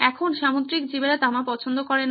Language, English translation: Bengali, Now marine life does not like copper